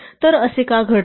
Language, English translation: Marathi, So, why does this happen